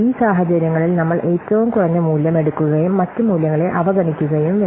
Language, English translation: Malayalam, In these cases we have to take the lowest value and ignore the other values, I mean the other rates